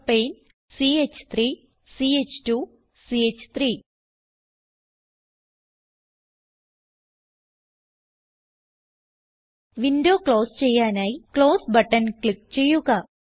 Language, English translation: Malayalam, Propane CH3 CH2 CH3 Lets click on Close button to close the window